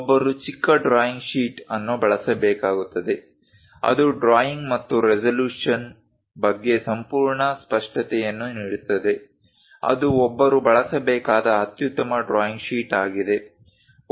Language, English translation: Kannada, One has to use the smallest drawing sheet , which can give complete clarity about the drawing and resolution; that is the best drawing sheet one has to use